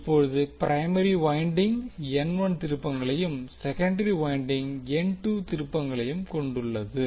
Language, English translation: Tamil, Now primary winding is having N 1 turns and secondary is having N 2 turns